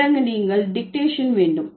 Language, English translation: Tamil, Then you have dictation